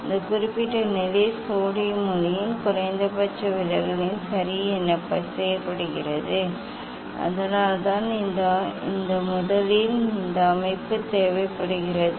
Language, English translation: Tamil, that particular position is fixed at the minimum deviation of the for the sodium light that is why this first this setup is required